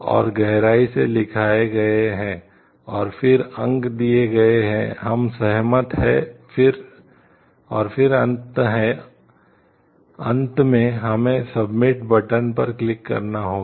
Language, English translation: Hindi, And written in depth and, then points are given do we agree do we agree, do we agree and then finally, we have to click the submit button